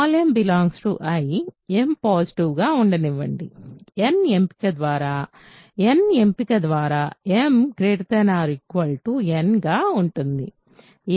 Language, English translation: Telugu, Let m be in I m positive; by choice of n, by the choice of n, m is greater than equal to n right